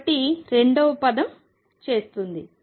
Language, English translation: Telugu, So, does the second term